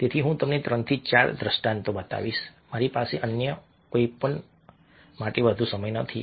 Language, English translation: Gujarati, so i will show you three to four illustrations, i don't have much more time for anything else